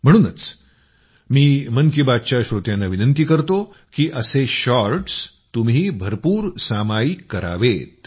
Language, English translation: Marathi, Therefore, I would urge the listeners of 'Mann Ki Baat' to share such shorts extensively